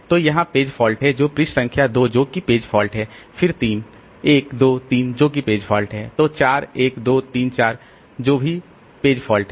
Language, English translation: Hindi, Then page number 2, that is a page fault then 3, 1, 2, that's a page fault, then 4, 1, 2, 3, that's a page fault, then 4, 1, 2, 3, that is also a page fault